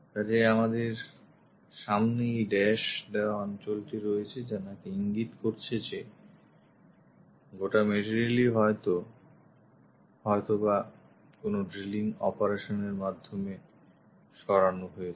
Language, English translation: Bengali, So, we have this dashed zones indicates that this entire material has been removed maybe by a drilling operation